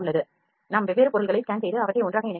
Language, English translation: Tamil, We can scan different objects and get them put together into one